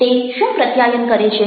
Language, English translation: Gujarati, what do they communicate